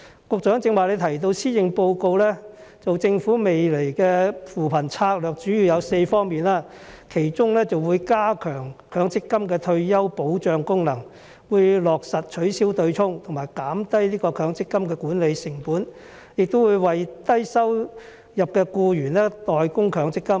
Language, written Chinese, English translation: Cantonese, 局長剛才提到施政報告，當中指出政府未來的扶貧策略主要有4方面，包括加強強積金的退休保障功能、落實取消"對沖"和減低強積金的管理成本、會為低收入的僱員代供強積金。, The Secretary has earlier mentioned the Policy Address which points out that the Governments poverty alleviation strategies will focus on four areas in future including strengthening the MPF retirement protection taking forward the abolition of the offsetting arrangement lowering the management cost of MPF and paying MPF contributions for low - income workers